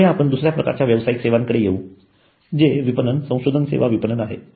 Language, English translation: Marathi, Next we come to another type of professional services which is marketing research services marketing